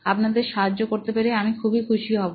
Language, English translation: Bengali, I will be more than happy to help you